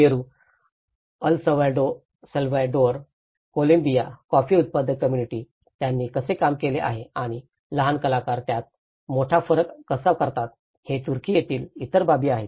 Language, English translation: Marathi, And there are also other aspects in Peru, El Salvador, Columbia, the coffee growers communities, how they have worked on and Turkey how the small actors make a big difference in it